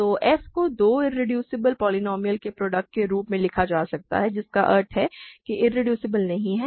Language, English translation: Hindi, So, f can be written as a product of two irreducible polynomials that means, it is not irreducible